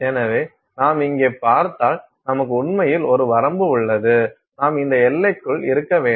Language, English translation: Tamil, Therefore, if you see here, we actually have a range, you have to stay within this range